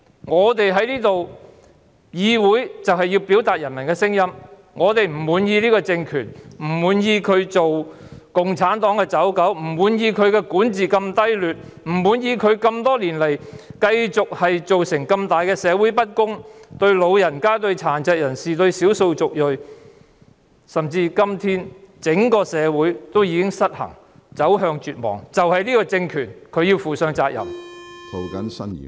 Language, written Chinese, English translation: Cantonese, 我們在議會要表達人民的聲音，我們不滿意這個政權，不滿意它作為共產黨的走狗，不滿意管治如此低劣，不滿意多年來造成社會嚴重不公，包括對長者、殘疾人士和少數族裔，甚至今天整個社會已經失衡，走向絕望，這個政權要負上責任。, We need to speak for the people in this Council . We are dissatisfied with this regime as it is the running dog of the Communist Party; we are dissatisfied with its poor governance; we are dissatisfied with the serious problems of social injustice which have existed over the years and affected the elderly disabled and ethnic minorities . What is more today our society has lost its balance and is plunging into despair